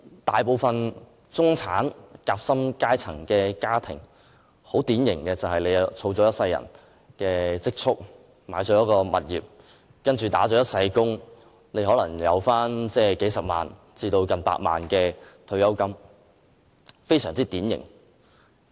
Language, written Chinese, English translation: Cantonese, 大部分典型的中產、"夾心階層"家庭，用一生人的積蓄，購置一間物業，然後"打一世工"，可能有數十萬至近百萬元的退休金，這是非常典型的。, As a typical life of middle - class or sandwich - class families they spend their lifetime savings on a property and retire with a pension totalling several hundred thousand dollars to nearly one million dollars after working for the whole life . This is a stereotype of the middle class